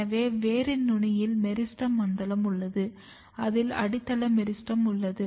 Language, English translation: Tamil, So, this is meristematic zone at very tip of the root, in meristem we have this basal meristem